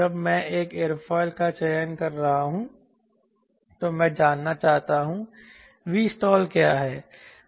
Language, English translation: Hindi, you understand, when i am selecting an aerofoil i would like to know what is the v stall